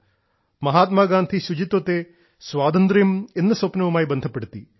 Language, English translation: Malayalam, Mahatma Gandhi had connected cleanliness to the dream of Independence